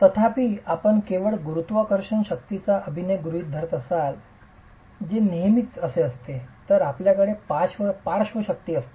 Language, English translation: Marathi, However, if you were to assume only gravity forces acting which is not always the case, you will have lateral forces